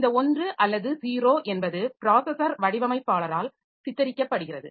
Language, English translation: Tamil, So, this 1 or 0, so that is depicted by the processor designer